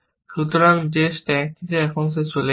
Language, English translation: Bengali, So, that is gone now, from the stack